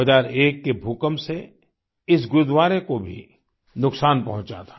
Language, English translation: Hindi, During the 2001 earthquake this Gurudwara too faced damage